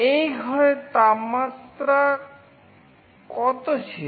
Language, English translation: Bengali, What was the current temperature of this room